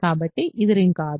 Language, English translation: Telugu, So, this is not ring